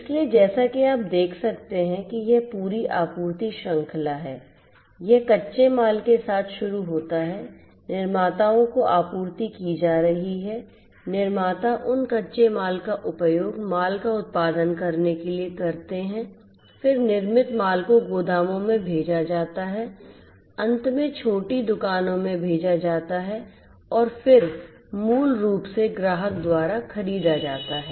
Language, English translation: Hindi, So, as you can see this is the whole supply chain; this is this whole supply chain all right, it starts with the raw materials, procurement supply use being delivered to the manufacturers, the manufacturers use those raw materials to produce the goods the goods are then the manufactured goods are then distributed sent to the warehouses finally, to the little shops and then are basically purchased by the customers